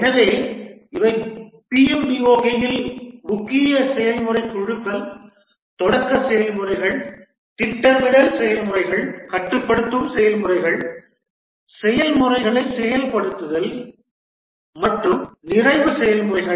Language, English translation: Tamil, So these are five main process groups in the PMBOK, the initiating processes, the planning processes, controlling processes, executing processes and closing processes